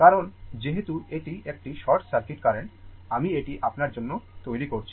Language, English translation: Bengali, Because, as it is a short circuit current will I am just, I am making it for you